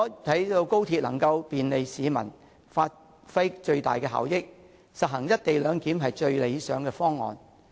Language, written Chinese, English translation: Cantonese, 為了讓高鐵能夠便利市民，發揮最大的效益，實行"一地兩檢"是最理想的方案。, To enable XRL to bring convenience to the people and produce the best possible results implementing the co - location arrangement will be the best option